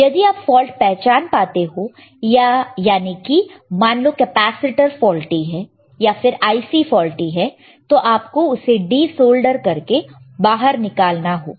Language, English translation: Hindi, If you find out the fault let us say capacitor is faulty, your IC is faulty you have to de solder it and you have to take it out